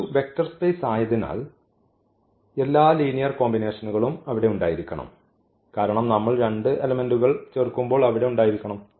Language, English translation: Malayalam, So, definitely because this is a vector space all the all linear combinations because when we add two elements of this must be there